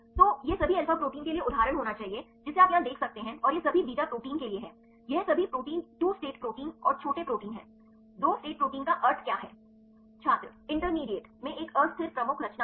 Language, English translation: Hindi, So, this should be example for the all alpha proteins right you can see here and this is for the all beta proteins all these proteins are 2 state proteins and small proteins; what is the meaning of 2 state proteins